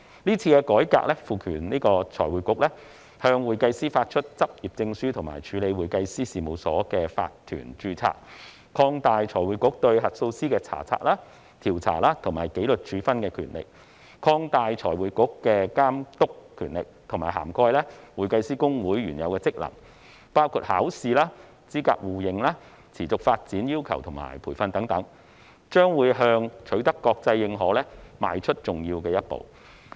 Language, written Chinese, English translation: Cantonese, 這次改革賦權財匯局向會計師發出執業證書及處理會計師事務所的法團註冊；擴大財匯局對核數師的查察、調查和紀律處分的權力；以及擴大財匯局的監督權力，以涵蓋會計師公會原有的職能，包括考試、資格互認、持續發展要求和培訓等，將向取得國際認可邁出重要一步。, This reform empowers FRC to issue practising certificates to certified public accountants CPAs and process the registration of CPA firms and corporate practices; expand FRCs powers of inspection investigation and discipline over auditors; and expand FRCs oversight powers to cover HKICPAs original functions including examinations mutual recognition of qualifications continuing development requirements and training . It is a significant step towards receiving international recognition